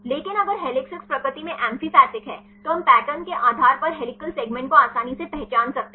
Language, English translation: Hindi, But if the helices are amphipathic in nature then we can easily identify the helical segments based on the patterns